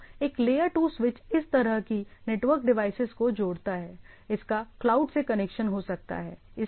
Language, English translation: Hindi, So, there can be layer 2 switch where it connects etcetera it can have a connection to the cloud